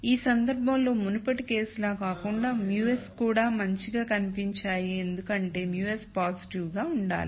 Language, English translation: Telugu, Unlike the previous case in this case the mus also looked good because mus have to be positive